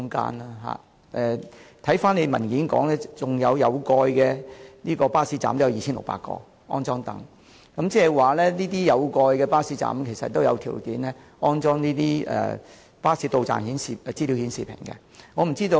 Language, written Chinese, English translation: Cantonese, 而且，主體答覆亦指出，有共約2600個有蓋巴士站將安裝座椅，換言之，這些有蓋巴士站亦有條件安裝實時巴士到站資訊顯示屏。, Moreover it is also pointed out in the main reply that seats will be installed at a total of about 2 600 covered bus stops meaning that it may also be possible to install real - time bus arrival information display panels at such covered bus stops